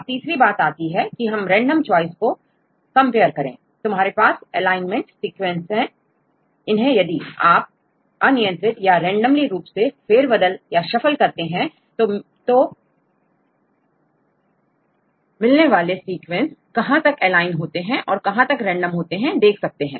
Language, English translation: Hindi, Then third one you can compare with the random choice; you have your aligned sequences then if you shuffle randomly you will get the sequences and how far it will match, your aligned sequences as well as the random sequences right